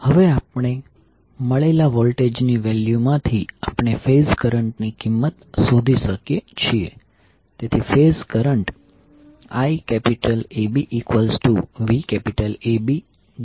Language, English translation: Gujarati, Now from the voltage values which we got, we can find out the value of the phase current